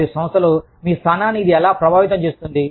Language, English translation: Telugu, And, how it is going to affect, your position in the organizations